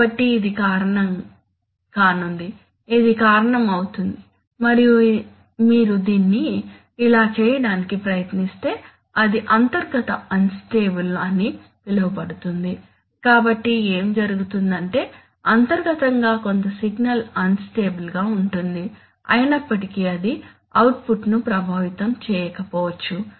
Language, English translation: Telugu, So what is, what this is going to cause is, it will cause and if you try to do it like this, it will cause what is known as internal in stability, so what happens is that internally some signal will go unstable although it may not affect the output